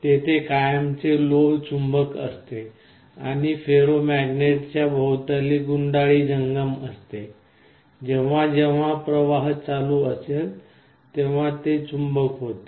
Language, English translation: Marathi, There is a permanent magnet and the coil around the ferromagnet is movable, whenever there is a current flowing this will become a magnet